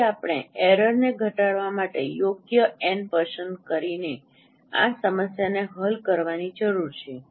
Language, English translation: Gujarati, So we need to solve this problem to minimize this error by choosing appropriate n